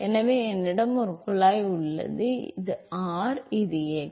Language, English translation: Tamil, So, I have a pipe here and this is r, this is x